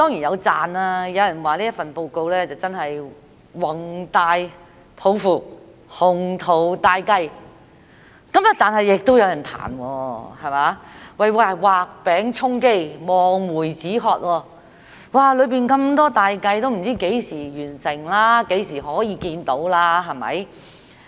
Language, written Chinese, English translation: Cantonese, 有人讚這份報告展現宏大抱負、雄圖大計；但亦有人彈，說是畫餅充飢、望梅止渴，裏面有這麼多大計，不知道要到何時才能完成，何時可以看到。, Some people praise the Policy Address for its ambitious aspirations and plans; while some criticize that it maps out an array of big plans without specifying when they can be completed and realized just like drawing a cake to satisfy the hunger and gazing at a plum to quench thirst